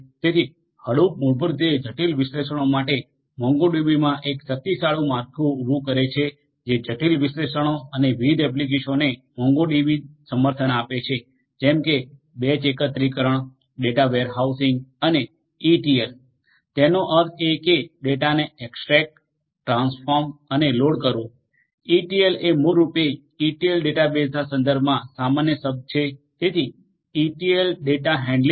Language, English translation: Gujarati, So, Hadoop basically adds as a powerful framework to MongoDB for complex analytics and different applications are supported by MongoDB such as batch aggregation, data warehousing and ETL data; that means, extract transform and loading of data, this is basically common term ETL in the context of databases so, ETL data handling